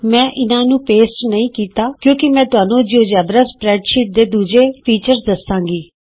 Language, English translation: Punjabi, I did not paste these because I will show you another feature of geogebra spreadsheets